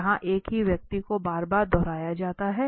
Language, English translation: Hindi, Where the same person is repeated again and again